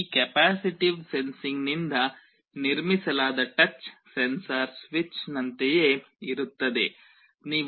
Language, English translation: Kannada, The touch sensor that is built out of this capacitive sensing is similar to a switch